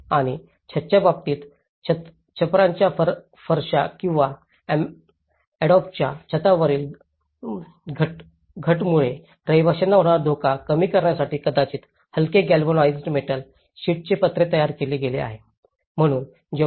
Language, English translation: Marathi, And in terms of roof, there has been a lightweight probably galvanized metal sheets roofing to reduce potential danger to occupants from falling roof tiles or the adobe roofs